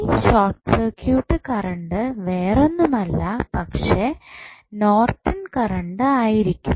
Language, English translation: Malayalam, So, that circuit current would be nothing but the Norton's current